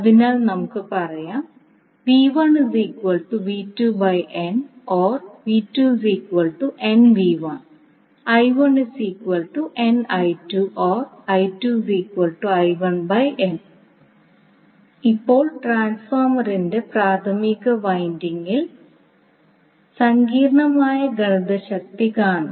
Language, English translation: Malayalam, Now, let us see complex power in the primary winding of the transformer